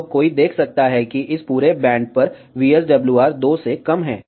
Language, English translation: Hindi, So, one can see that VSWR is less than 2 over this entire band